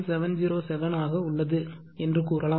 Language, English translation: Tamil, 707 will be 0